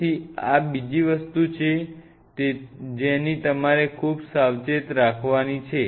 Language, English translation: Gujarati, So, this is another thing which you have to be very careful